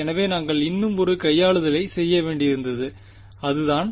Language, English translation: Tamil, So, we had to do one more manipulation and that was